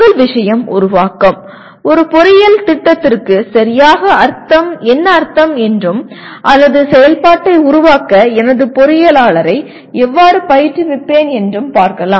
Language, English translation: Tamil, First thing is creation, let us look at what exactly it means for an engineering program or how do I train my engineer for create activity